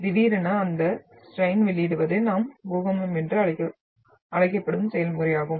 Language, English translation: Tamil, And that sudden release of the strain is the process what we call the earthquake